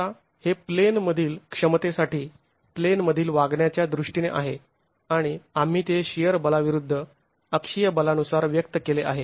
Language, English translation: Marathi, Now this is for in plain capacities, in plain behavior and we have expressed it in terms of shear capacity versus the axial force